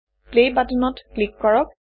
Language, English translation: Assamese, Click the Play button